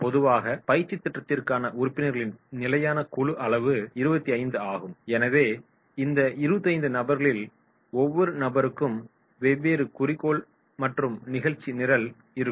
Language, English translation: Tamil, Now, here normally standard group size for the training program is 25 so suppose we take a standard size training group so these 25 persons, each person will be having a different objective and agenda